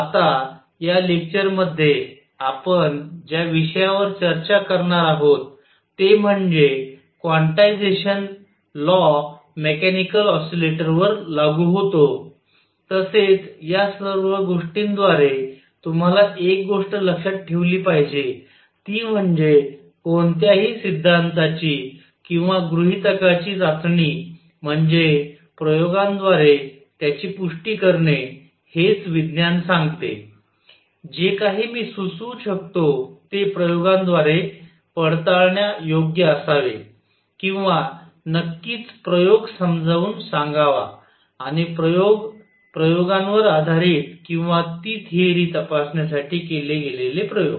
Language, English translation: Marathi, Now, in this lecture, what we are going to discuss is that the quantization rule applies to mechanical oscillators, also one thing you must keep in mind through all this is that test of any theory or hypothesis is its confirmation by experiments that is what science says whatever I can propose should be verifiable by experiments or must explain an experiment and experiments based on the experiments or experiments to do that check that theory